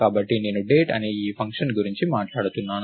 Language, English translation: Telugu, So, I was talking about this function called Date